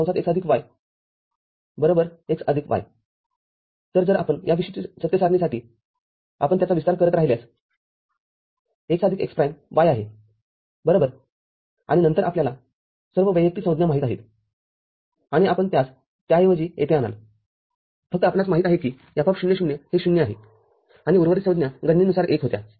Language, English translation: Marathi, So, if you for this particular truth table, if you keep expanding it, x plus x prime y right, and then you know all the individual terms, and you substitute it over here, only we know that F(0,0) was 0, and rest of the terms was 1 by calculation